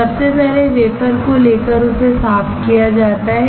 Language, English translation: Hindi, Firstly, the wafer is taken and cleaned